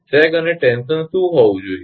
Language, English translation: Gujarati, What should be the sag and tension